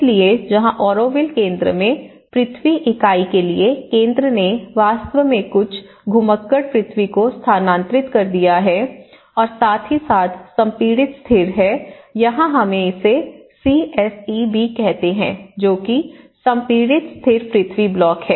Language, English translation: Hindi, So, where center for earth unit in the Auroville Center has actually transferred some rammed earth and as well the compressed stabilized, here we call it as CSEB, compressed stabilized earth block